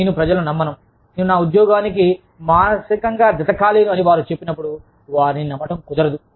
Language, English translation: Telugu, I just, do not believe people, when they say, i am not emotionally attached to my job